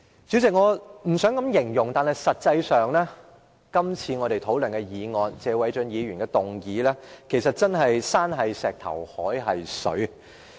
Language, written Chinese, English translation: Cantonese, 主席，我不想這樣形容，但實際上，我們討論的謝偉俊議員的議案真是"山是石頭，海是水"。, President I hate to say that but the truth is our discussion on Mr Paul TSEs motion is as simple as mountain is rock sea is water